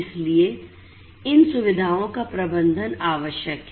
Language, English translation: Hindi, So, management of these facilities is what is required